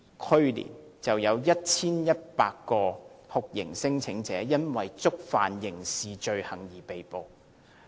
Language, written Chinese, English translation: Cantonese, 去年，有 1,100 名酷刑聲請者因為觸犯刑事罪行而被拘捕。, There were 1 100 torture claimants arrested for criminal offences last year